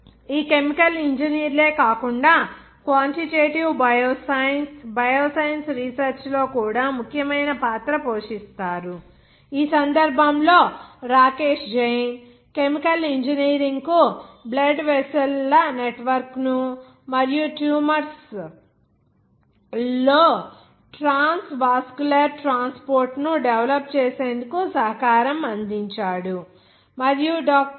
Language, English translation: Telugu, Other than these chemical engineers also play a significant role in quantitative bioscience, bioscience research, in this case, Rakesh Jain, whose contribution to chemical engineering developed the network of blood vessels and transvascular transport in tumors and it is of course